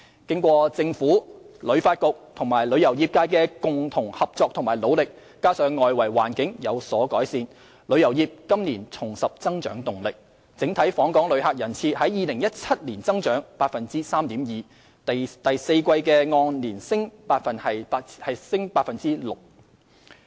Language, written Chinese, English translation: Cantonese, 經過政府、香港旅遊發展局及旅遊業界的共同合作和努力，加上外圍環境有所改善，旅遊業今年重拾增長動力，整體訪港旅客人次於2017年增長 3.2%， 第四季按年升 6%。, With the joint efforts of the Government the Hong Kong Tourism Board HKTB and the tourism industry adding to these external changes taken place the tourism industry has regained growth momentum attaining a growth of 3.2 % in total visitor arrivals in 2017 a year - on - year increase of 6 % in the fourth quarter